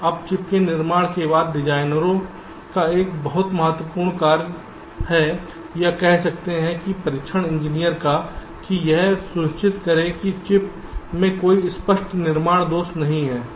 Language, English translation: Hindi, one very important task of the designers, or you can say the text engineers, was to ensure that the chip does not contain any apparent fabrication defects